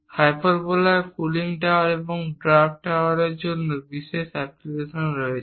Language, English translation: Bengali, Hyperbola has special applications for cooling towers and draft towers